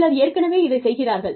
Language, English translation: Tamil, May be, some people are, already doing it